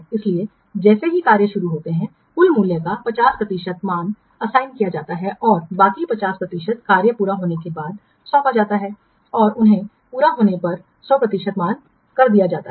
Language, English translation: Hindi, So, as soon as the tax is started, a value of 50% of the total value is assigned and the rest 50% is assigned once the tax is completed okay and then given a value of 100% once it is completed